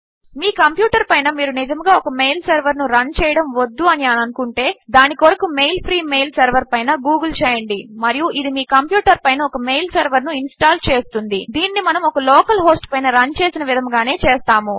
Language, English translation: Telugu, If you dont want to run a mail server on your computer, google for at mail free mail server and this will install a mail server on your computer just like we are doing now running on a local host